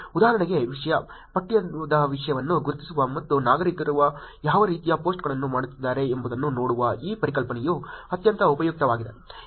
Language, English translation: Kannada, For instance, this concept of identifying the content, textual content and seeing what kind of posts that citizens are doing can be extremely useful